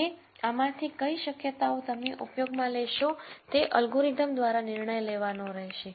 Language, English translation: Gujarati, Now which of these possibilities would you use is something that the algorithm by itself has to figure out